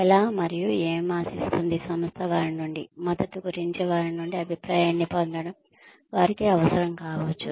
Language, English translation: Telugu, On how the, what the organization expect from them, getting feedback from them, regarding the support, they might need